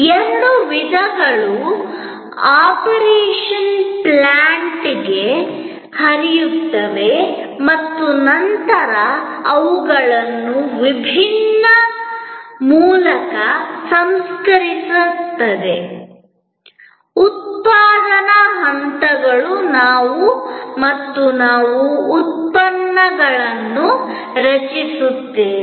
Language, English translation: Kannada, Both types flow to the operation plant and then, they are processed through different manufacturing stages and we create products